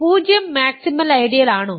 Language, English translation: Malayalam, Is 0 a maximal ideal